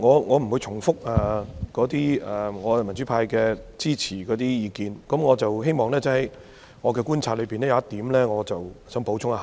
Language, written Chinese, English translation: Cantonese, 我不會重複我們民主派支持議案的意見，我只想補充一點。, I will not repeat the views of our pro - democracy camp in support of the motion . I only want to add one point